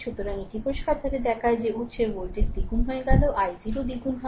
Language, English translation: Bengali, So, this clearly shows that when source voltage is doubled i 0 also doubled